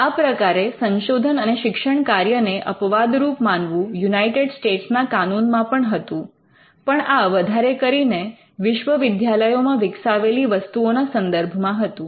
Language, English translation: Gujarati, So, the research or the instruction exception existed in the US law as well, but this came more to ensure the products that are developed in the universities